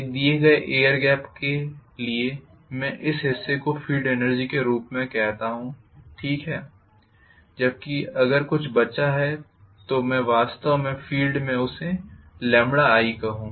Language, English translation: Hindi, For a given air gap I call this portion as the field energy okay, whereas whatever is left over so if I actually say lambda times i